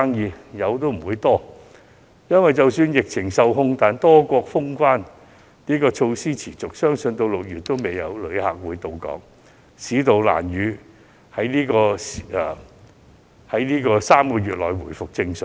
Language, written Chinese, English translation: Cantonese, 即使是有，生意也不多，因為即使疫情受控，多國封關措施持續，相信直至6月也沒有旅客到港，市道難以在3個月內回復正常。, Even if there are still some transactions the business will be slow because many countries will still be locked down even if the epidemic is under control . It is believed that no tourists will visit Hong Kong before June . The economy can hardly be back to normal within three months